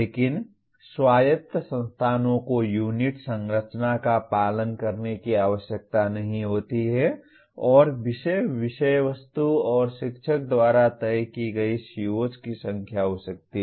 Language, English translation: Hindi, But autonomous institutions they are not required to follow unit structure and may have the number of COs as decided by the subject, subject matter and by the teacher